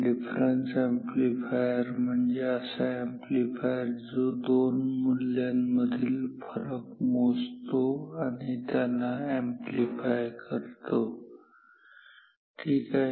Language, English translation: Marathi, A difference amplifier is an amplifier which takes the difference between 2, values 2 voltages and amplified ok